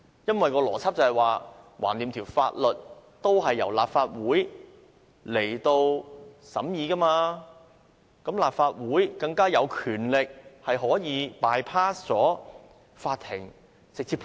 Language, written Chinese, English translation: Cantonese, 因為當中的邏輯是，反正法例也是由立法會審議，立法會便更加有權力可以 bypass 法庭，可以直接判案。, The logic is that since the laws are enacted by the Legislative Council it definitely has the power to bypass the Court to rule the case direct